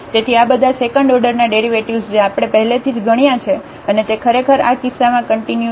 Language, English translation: Gujarati, So, all these second order derivatives we have already computed and they are actually constant in this case